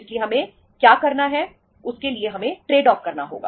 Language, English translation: Hindi, So what we have to do is we have to have a trade off